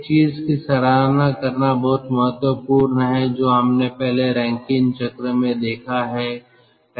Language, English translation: Hindi, it is very important to appreciate one thing that we have seen earlier: the rankine cycle